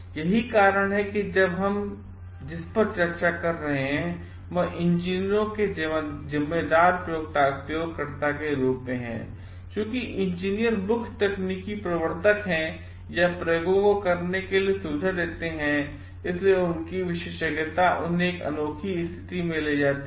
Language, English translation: Hindi, That is why what we are discussing now is that of engineers as responsible experimenters; so, as engineers are the main technical enablers or facility to carry out the experiments, their expertise puts them in a unique position of responsibility